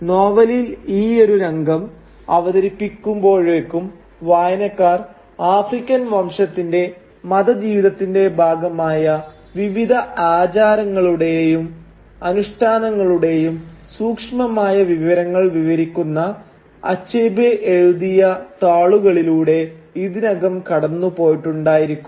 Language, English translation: Malayalam, Now, by the time the scene is introduced in the novel, the readers have already gone over pages and pages of thick descriptions by Achebe describing minute details of various rituals and customs which form part of the religious life of the African clan